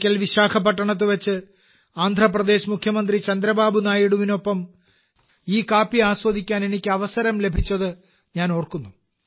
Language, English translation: Malayalam, I remember once I got a chance to taste this coffee in Visakhapatnam with the Chief Minister of Andhra Pradesh Chandrababu Naidu Garu